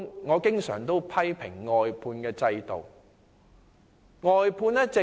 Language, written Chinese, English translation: Cantonese, 我經常批評外判制度。, I often criticize the outsourcing system